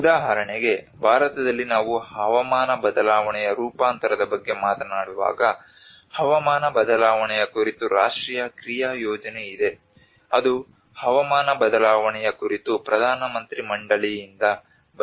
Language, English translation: Kannada, For instance in India when we talk about climate change adaptation, there are national action plan on climate change which is from the Prime Ministers Council on climate change